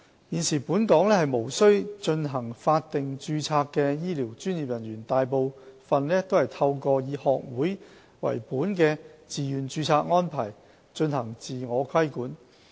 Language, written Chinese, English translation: Cantonese, 現時本港無須進行法定註冊的醫療專業人員，大部分是透過以學會為本的自願註冊安排進行自我規管。, Health care professionals who are currently not subject to statutory registration in Hong Kong are mostly self - regulated through voluntary society - based registration